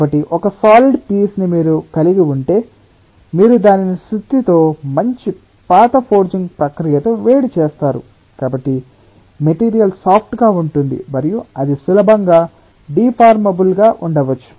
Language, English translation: Telugu, so if you have, say, ah, solid piece and you have heated it with a hammer where you good old forging processes, so then ah, the material will be soft and that may be easily deformable